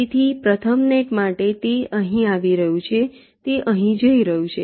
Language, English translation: Gujarati, so for the first net, it is coming from here, it is going here